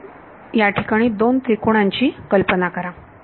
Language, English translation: Marathi, So, imagine 2 triangles over there right